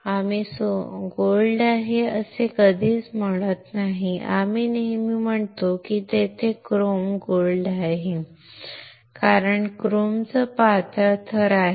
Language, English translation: Marathi, We never say there is a gold, we always say there is a chrome gold because there is a thin layer of chrome